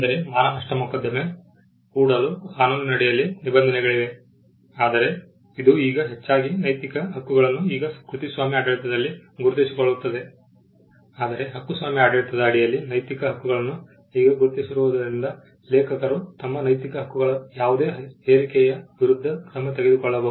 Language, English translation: Kannada, There are provisions in tort law where you could file a case for defamation, but since the moral rights are now recognized under the copyright regime this is now the most, but since moral rights have now been recognized under the copyright regime an author can take action against any intrusion of his moral rights